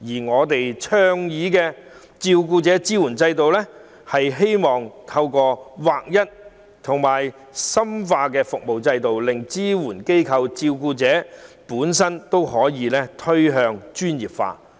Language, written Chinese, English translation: Cantonese, 我們倡議設立照顧者支援制度，是希望透過劃一和深化服務制度，令支援機構及照顧者本身趨向專業化。, We advocate the establishment of a carer support system in the hope that by standardizing and deepening the system both the supporting organizations and the carers themselves will become more professional